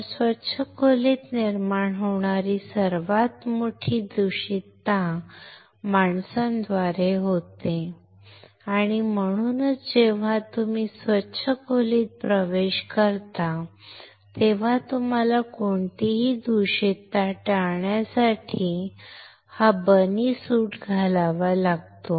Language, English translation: Marathi, So, the biggest contamination that arises in a clean room is through humans and that is why when you enter a clean you have to wear this bunny suit to avoid any contamination